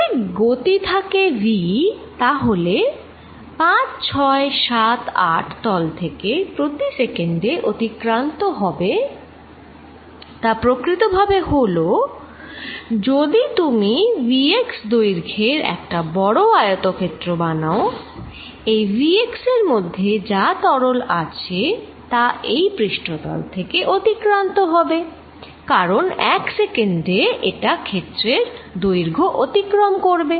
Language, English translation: Bengali, If there is a velocity v, then fluid passing through 5, 6, 7, 8 per second will be really, if you make a big rectangle of length v x whatever the fluid is in this v x is going to pass through this surface, because in one second it will cover the length fields